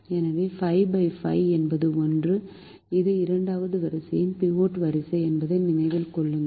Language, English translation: Tamil, so five divided by five is one remember that this is the second row is the pivot row